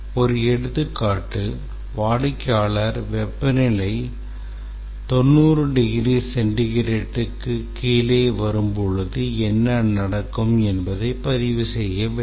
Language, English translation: Tamil, Just to give an example, that the customer has not recorded or has not expressed what will happen when the temperature falls below 90 degrees centigrade